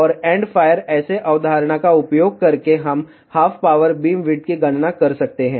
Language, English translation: Hindi, And by using the end fire array concept, we can calculate the half power beamwidth